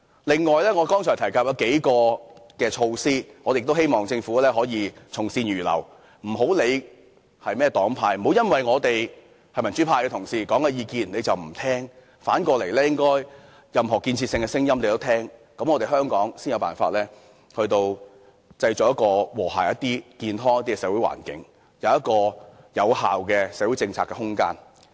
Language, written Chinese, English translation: Cantonese, 此外，我剛才提及數項措施，希望政府可以從善如流，不要理會是甚麼黨派提出，不要因為是民主派同事提出的意見而不聽；反過來，政府應聽取任何有建設性的聲音，香港才有辦法創造更和諧、健康的社會環境，建立有效的社會政策空間。, Furthermore with regard to the measures mentioned by me I hope the Government can kindly heed our words without regard to the political spectrum of the parties concerned . It should not ignore the advice simply because it is offered by the pro - democracy camp . On the contrary the Government should listen to any constructive voice in order to create a harmonious and healthy social environment and make room for effective social policy in Hong Kong